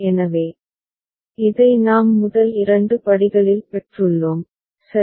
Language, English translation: Tamil, So, this we have obtained in the first two steps, right